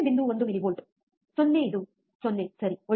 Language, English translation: Kannada, 1 millivolts 0 it is 0 ok, good alright